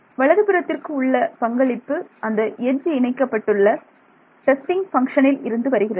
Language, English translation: Tamil, So, the contribution to the right hand side will only come from those testing functions which are associated with that edge